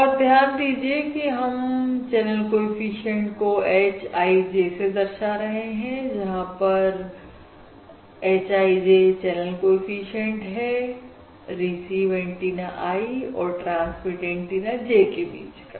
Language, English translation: Hindi, And note that we are denoting this channel coefficient using the notation h i j, where h i j is basically the channel coefficient between the received antenna i and transparent antenna j